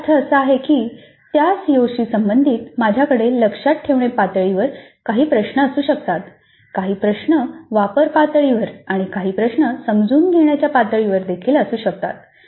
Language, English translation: Marathi, That means related to that COO I can have some questions at remember level, some questions at apply level and some questions at the understand level also